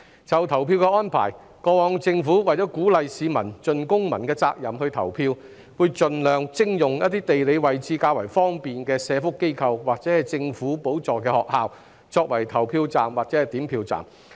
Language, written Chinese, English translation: Cantonese, 就投票的安排，過往政府為鼓勵市民盡公民責任投票，會盡量徵用一些地理位置較方便的社福機構或政府補助學校作為投票站及點票站。, Regarding the voting arrangement in the past in order to encourage the public to fulfil their civic responsibility via voting the Government would procure certain welfare organizations or government - subsidized schools in convenient locations for use as polling stations and counting stations